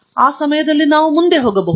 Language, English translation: Kannada, And, that way we can go forward in time